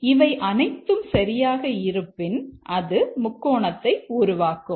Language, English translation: Tamil, And if all of this is true, then it forms a triangle